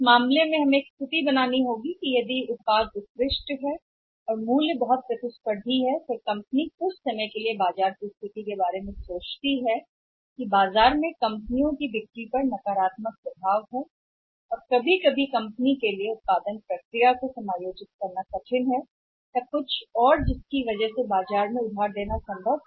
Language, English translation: Hindi, In this case we have to create a situation that if the if the product is excellent excellent and the prices it is very, very competitive then the company things about their some time with the situation demands that there is a negative effect up on the market companies sales or sometime it's very difficult for the company to adjust manufacturing process or anything else then it may be possible to give some credit in the market